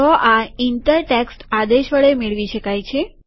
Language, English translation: Gujarati, This can be achieved using the inter text command